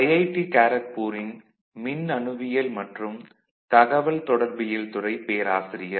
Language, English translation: Tamil, I am a Professor of Electronics and Communication Engineering Department, IIT Kharagpur